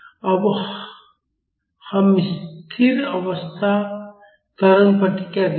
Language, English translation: Hindi, Now let us see the steady state acceleration response